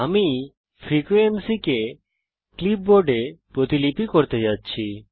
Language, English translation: Bengali, I am going to copy the frequency on to the clipboard